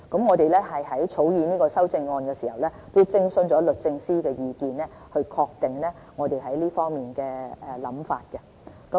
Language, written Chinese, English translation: Cantonese, 我們在草擬修正案的時候，亦徵詢過律政司的意見，以確定我們在這方面的想法。, In fact we have consulted the Department of Justice while drafting the amendments with a view to confirming our believes